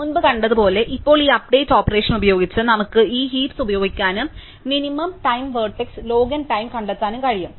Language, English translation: Malayalam, So, as we saw before, now we can use this heap with this update operation and find the minimum time vertex and log n time